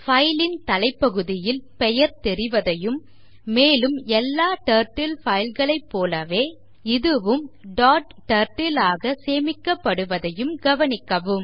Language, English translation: Tamil, Notice that the name of the file appears in the top panel and it is saved as a dot turtle file like all Turtle files